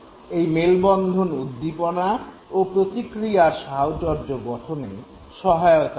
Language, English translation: Bengali, An association has been formed between the stimulus and the response